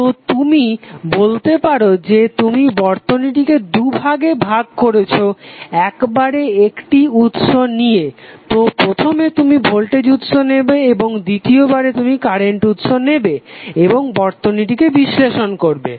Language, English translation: Bengali, So you can say that you are dividing the circuit in 2 parts you are taking 1 source at a time so first you will take voltage source and second you will take as current source and analyze the circuit